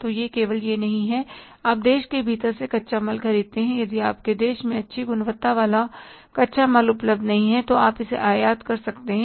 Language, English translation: Hindi, If the raw material is not available, good quality raw material is not available within the country, you can import it